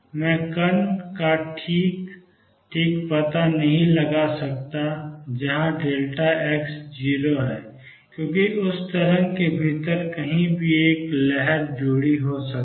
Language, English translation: Hindi, I cannot locate the particle precisely with delta x being 0, because there is a wave associated could be anywhere within that wave